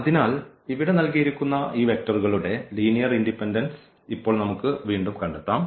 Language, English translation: Malayalam, So, now we can investigate again here the linear independence of these given vectors which are given here